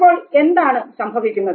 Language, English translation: Malayalam, Now what happens